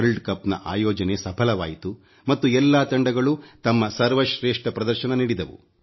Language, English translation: Kannada, The world cup was successfully organized and all the teams performed their best